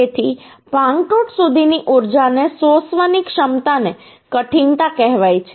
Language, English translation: Gujarati, So the ability to absorb the energy up to fracture is called toughness